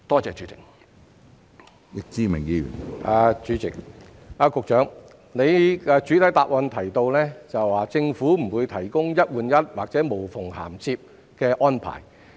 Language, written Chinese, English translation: Cantonese, 主席，局長在主體答覆中提及政府不會提供"一換一"或"無縫銜接"的安排。, President the Secretarys main reply says that the Government will not offer any one - on - one or seamless reprovisioning arrangements